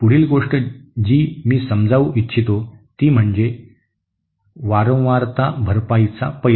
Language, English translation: Marathi, The next item I would like to cover is aspect of frequency compensation